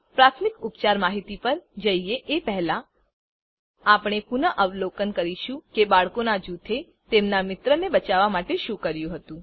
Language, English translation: Gujarati, Before moving on to the first aid instructions, we will review what the group of boys did to save their friend